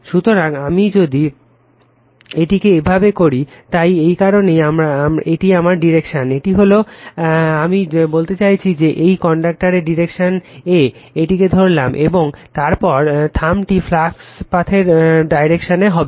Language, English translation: Bengali, So, if I make it like this, so this that is why this is my the dire[ction] this is the I mean in the direction of the current, you grabs it right, and then this thumb will be your direction of the flux path right